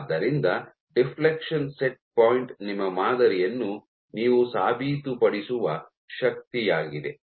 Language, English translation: Kannada, So, deflection set point is the force with which you are proving your sample